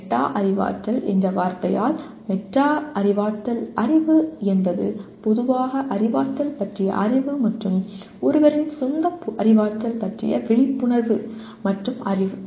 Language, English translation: Tamil, Metacognitive knowledge by the very word meta cognitive is a knowledge about cognition in general as well as the awareness of and knowledge about one’s own cognition